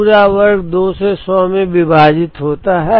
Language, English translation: Hindi, 4 the whole square divided by 2 into 100